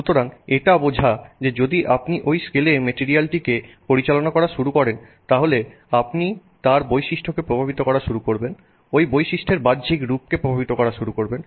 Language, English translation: Bengali, So, it turns out that if you start manipulating this material at that scale, then you start impacting that property, impacting the appearance of that property